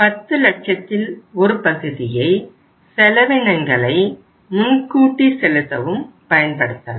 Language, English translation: Tamil, Part of the 10 lakhs can be used for the prepayments